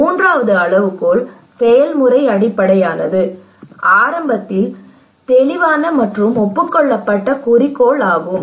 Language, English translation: Tamil, The third criteria process based is the clear and agreed objective at the outset